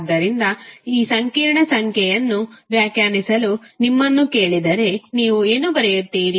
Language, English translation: Kannada, So, if you are asked to define the complex number, what you will write